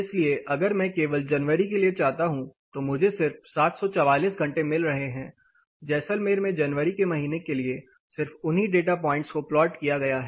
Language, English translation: Hindi, So, if I want only for you know January, I am just getting 744 hours just the month of January in Jaisalmer only that data points are plotted